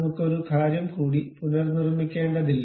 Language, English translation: Malayalam, We do not have to reconstruct one more thing